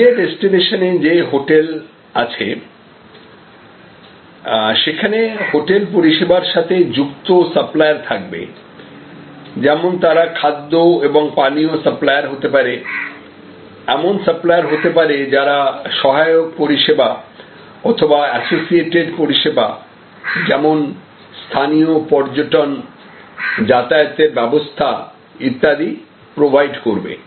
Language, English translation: Bengali, And then, we have the hotel at the holiday destination, now there will be suppliers, there will be suppliers who are related to the hotel service like may be food and vegetable suppliers, there will be suppliers who are related to providing auxiliary services or associated services like say local tourism or transportation and so on